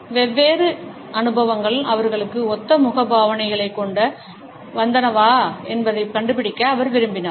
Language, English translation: Tamil, And he wanted to find out whether different experiences brought similar facial expressions for them